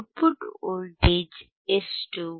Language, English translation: Kannada, wWhat is the output voltage